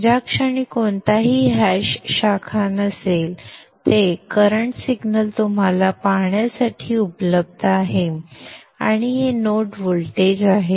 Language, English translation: Marathi, You have the moment anything hash branches there mean they are current signals available for you to see and these are the node voltages